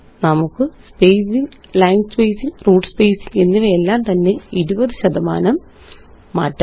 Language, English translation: Malayalam, Let us change the spacing, line spacing and root spacing each to 20 percent